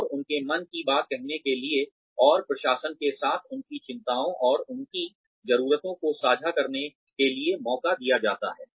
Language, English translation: Hindi, And, to speak their minds, and to share their concerns and their needs with the administration